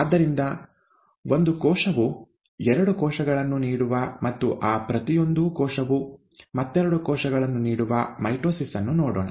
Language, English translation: Kannada, And therefore let us look at mitosis of one cell giving two cells, and each one of those giving two cells and so on and so forth